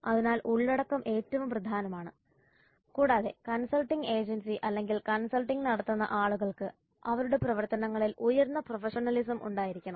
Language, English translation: Malayalam, So the content is most important and the profession and the consulting agency or the people who are consulting must have high levels of professionalism in their activities